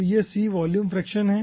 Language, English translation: Hindi, okay, so c is the volume fraction